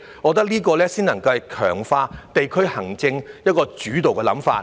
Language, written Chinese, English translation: Cantonese, 我認為這個才是能夠強化地區行政的主導想法。, In my view this is ultimately the guiding idea for the enhancement of district administration